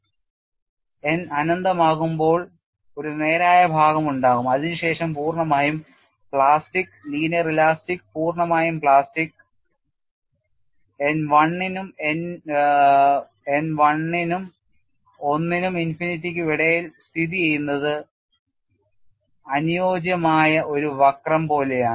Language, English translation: Malayalam, When n is infinity, if n is 1 it will go straight when n is infinity you will have a straight portion followed by a fully plastic linear elastic and fully plastic n which lies between 1 and infinity would be like a suitable curve that is how you modeled a material behavior